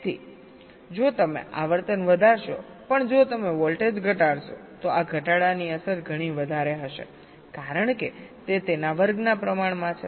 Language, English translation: Gujarati, so if you increase the frequency but if you dec and decrease the voltage, the impact of this decrease will be much more because it is proportion to square of that